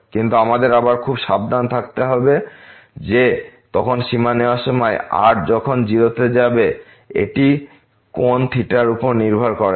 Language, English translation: Bengali, But we have to be again very careful that while taking the limit as goes to 0 that should not depend on the angle theta